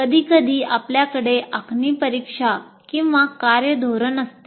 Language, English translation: Marathi, And sometimes you have make up examination or work policy